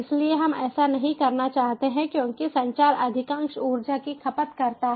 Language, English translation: Hindi, so we do not want to do that, because communication consumes most of the energy